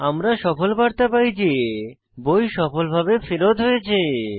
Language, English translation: Bengali, We get the success message that book has been successfully returned